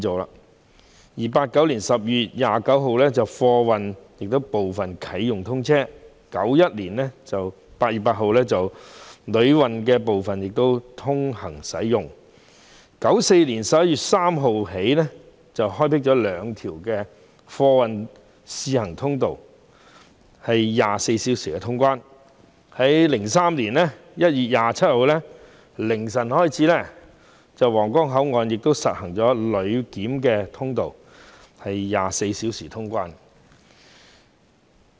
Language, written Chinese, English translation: Cantonese, 1989年12月29日，皇崗口岸的貨檢區建成啟用 ；1991 年8月8日，旅檢區亦通關 ；1994 年11月3日，兩條貨運通道試行，供24小時通關之用 ；2003 年1月27日零時起，皇崗口岸實施旅檢24小時通關。, On 29 December 1989 the cargo clearance area of the Huanggang Port was commissioned for use upon completion of construction; on 8 August 1991 the passenger clearance area also opened; on 3 November 1994 two freight corridors were given a trial run for 24 - hour clearance service; and starting from 0col00 am on 27 January 2003 24 - hour passenger clearance service was implemented